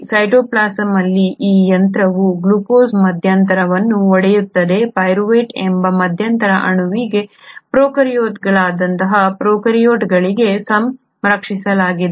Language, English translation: Kannada, This machinery in cytoplasm which breaks down glucose intermediate, to its intermediate molecule called pyruvate is conserved across prokaryotes to eukaryotes